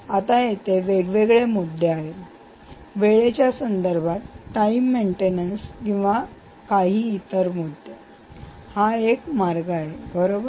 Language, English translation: Marathi, now there are issues with respect to time, timed maintenance, and there are issues with so this is one way